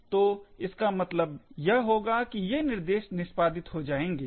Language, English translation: Hindi, So, this would mean that these instructions would get executed